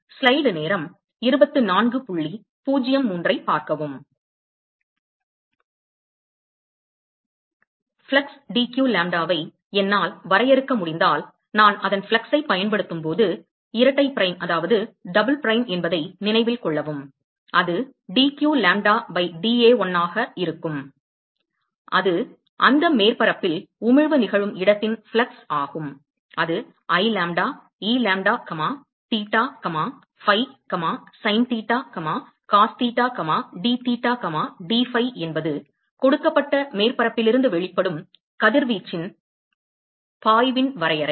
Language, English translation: Tamil, So if I can define flux dq lambda, note that double prime, when I use its flux so that will be dq lambda by dA1 which is the fluxes at which the emission is occurring that surface so that will be I lambda,e lambda comma theta comma phi, sin theta, cos theta, dtheta, dphi that is the definition of flux of radiation from emitted by a given surface